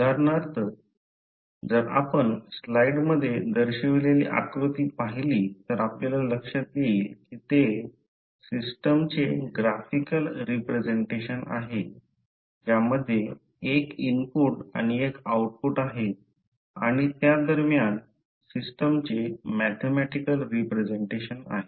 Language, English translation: Marathi, For example, if you see the figure shown in the slide it is a graphical representation of the system which has one input and the output and in between you have the mathematical representation of the system